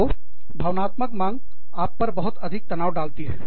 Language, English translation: Hindi, So, emotional demands, can put a lot of stress on you